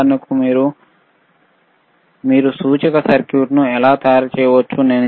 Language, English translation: Telugu, For example, how you can fabricate indicator circuit